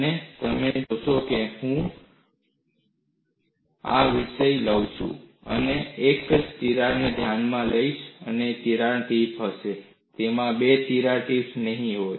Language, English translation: Gujarati, And when I take up this topic, I am going to consider a single crack having one crack tip; it will not have two crack tips